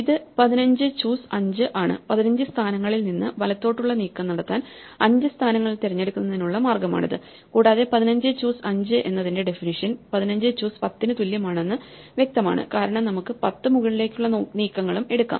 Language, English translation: Malayalam, It is either 15 choose 5, it is the way of choosing 5 positions to make the right move out of the 15, and it turns out that the definition of 15 choose 5 is clearly the same as 15 choose 10 because we could also fix the 10 up moves and the definition is basically